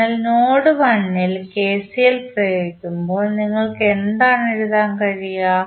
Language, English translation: Malayalam, So, when you apply KCL at node 1 what you can write